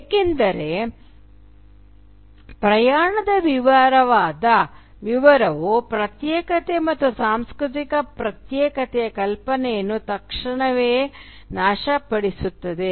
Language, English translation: Kannada, Because a detailed account of the travel, will immediately destroy the notion of isolation and cultural uncontaminatedness